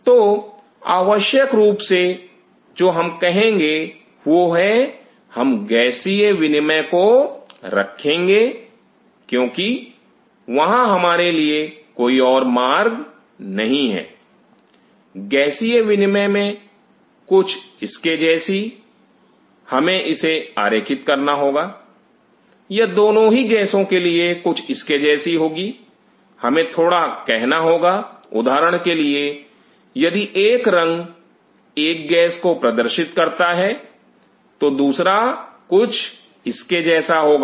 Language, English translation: Hindi, So, what we essentially do is that we keep the gaseous exchange, because there is no other way for us, gaseous exchange something like this we have to draw it will be something like this for both the gases or with us little bit of a say for example, if one color represents one gas the other one will be something like this